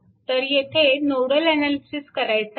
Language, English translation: Marathi, So, this is your asking for your nodal analysis